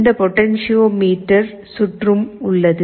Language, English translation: Tamil, This potentiometer circuit is also there